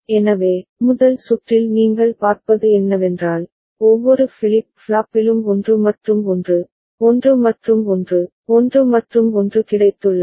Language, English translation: Tamil, So, in the first circuit what you see is that each of the flip flop has got 1 and 1, 1 and 1, 1 and 1